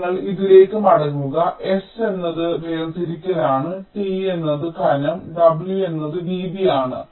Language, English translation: Malayalam, ok, so you come back to this: s is the separation, t is the thickness and w is the width